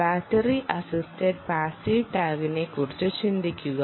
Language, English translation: Malayalam, they can be battery assisted passive tags as well